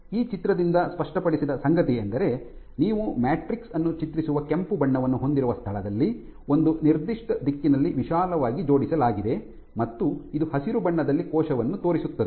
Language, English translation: Kannada, And this is made clear by this picture where you have the red depicts the matrix which you see is broadly aligned in one particular direction, and this in green shows the cell